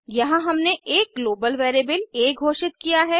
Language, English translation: Hindi, Here we have declared a global variable a